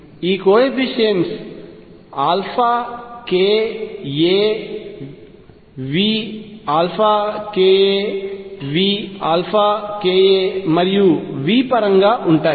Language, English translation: Telugu, These coefficients are in terms of alpha k a V alpha k a V alpha k a and v